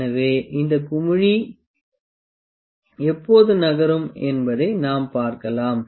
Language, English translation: Tamil, So, the we can just see when does this bubble moves